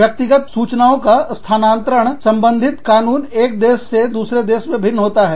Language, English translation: Hindi, Laws regarding, the transfer of personal data, from one country to another